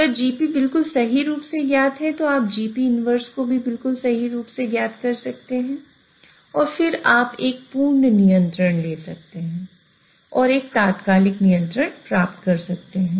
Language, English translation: Hindi, If GP is known exactly, you can have GP inverse to be known exactly and then you can take a perfect control and get an instantaneous control